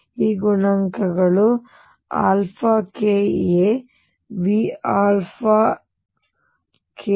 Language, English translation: Kannada, These coefficients are in terms of alpha k a V alpha k a V alpha k a and v